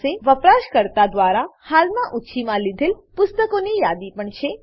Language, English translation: Gujarati, We also have the list of books currently borrowed by the user